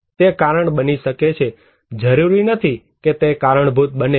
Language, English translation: Gujarati, It may cause, not necessarily that it will cause